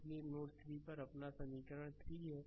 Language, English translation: Hindi, So, at node 2 this is that equation right